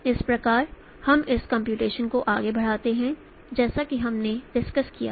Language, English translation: Hindi, So let us carry on this computation as we discussed